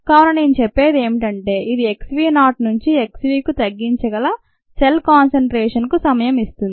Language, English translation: Telugu, so let me just say this gives the time for the reduction and viable cell concentration from x v naught to x v